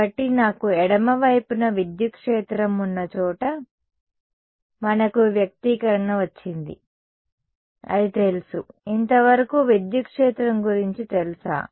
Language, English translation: Telugu, So, we have got an expression where I have the electric field on the left hand side is it known; so far is the electric field known